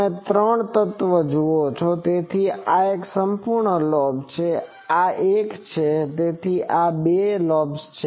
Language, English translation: Gujarati, You see three element, so this is one full lobe; this is one, so two lobes